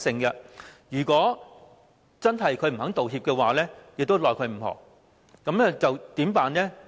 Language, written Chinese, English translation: Cantonese, 如真的不願意道歉，也是無可奈何，那麼該怎麼辦呢？, This means that if no one wants to make an apology nothing can be done . What are we going to do then?